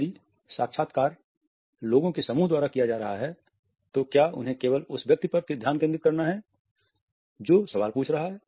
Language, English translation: Hindi, If they are being interviewed by a group of people then should they only focus on the person who is ask the question or should they look at the complete team